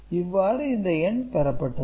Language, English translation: Tamil, So, this is the number